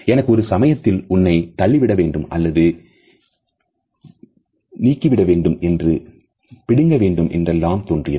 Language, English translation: Tamil, I had a moment where I was kind of wanting to push you or shove you or punch you or grab you